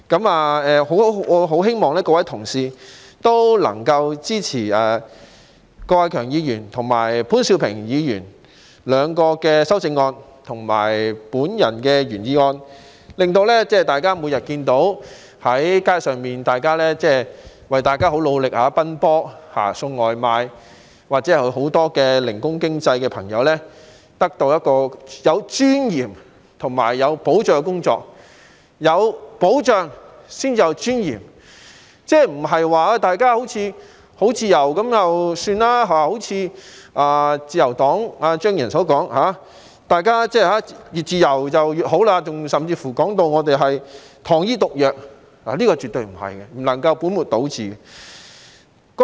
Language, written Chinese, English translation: Cantonese, 我希望各位同事能夠支持郭偉强議員和潘兆平議員的兩項修正案和我的原議案，令大家每天在街上看到，為大家很努力地奔波送外賣或眾多從事零工經濟的朋友得到有尊嚴和有保障的工作，有保障才有尊嚴，不是說他們好像很自由，正如自由黨張宇人議員所說，大家越自由越好，甚至形容我們建議的保障是糖衣毒藥，絕對不是，這樣說根本是倒果為因。, I hope fellow colleagues will support the two amendments proposed respectively by Mr KWOK Wai - keung and Mr POON Siu - ping as well as my original motion so that takeaway delivery workers whom we can see rush on the road every day for us or numerous workers engaging in gig economy may work with dignity and security . Their dignity must be accompanied by the protection at work and we should never misplace the focus on the job flexibility enjoyed by them or as suggested by Mr Tommy CHEUNG of the Liberal Party that the greater flexibility allowed the better . He even described the protection we have proposed as sugar - coated poison and this is absolutely not the case his suggestion is a typical example of reverse causation